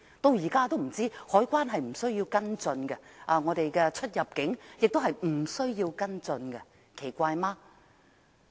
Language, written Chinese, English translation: Cantonese, 直至現在，海關似乎不需要跟進未知的實情，而我們的出入境紀錄亦不需要跟進，這樣不奇怪嗎？, So far it seems that the Customs and Excise Department is not required to follow up the facts that are not yet known . There is no need to follow up the arrival and departure records either . Is it not very unusual?